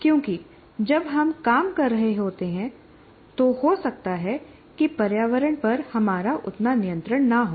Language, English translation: Hindi, Because when we are working, we may not have that much control over the environment